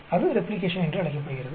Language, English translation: Tamil, That is called Replication